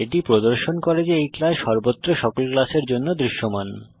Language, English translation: Bengali, This shows that the class is visible to all the classes everywhere